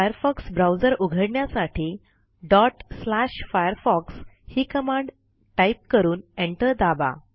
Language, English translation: Marathi, To launch the Firefox browser, type the following command./firefox And press the Enter key